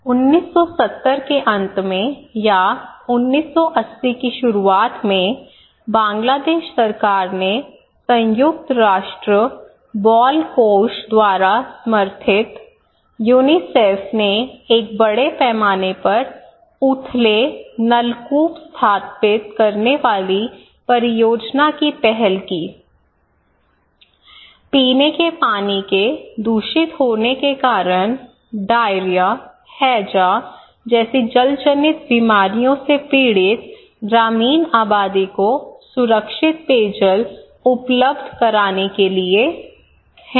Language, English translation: Hindi, So as I said that during the late 1970’s or in the beginning of 1980’s, the Bangladesh government supported by the United Nations Children's Fund, UNICEF initiated a mass project installing shallow tube well; STWs is in short and to provide safe drinking water to the rural population suffering from number of waterborne diseases such as diarrhoea, cholera due to contamination of drinking surface water, okay